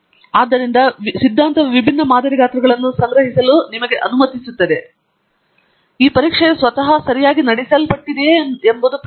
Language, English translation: Kannada, So, the theory allows you to collect different sample sizes, but the question is whether this test itself has been conducted correctly